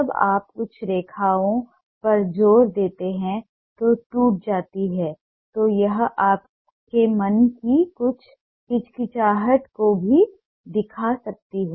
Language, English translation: Hindi, when you ah have emphasis on ah some lines which have broken, it may also show some of the hesitation of your mind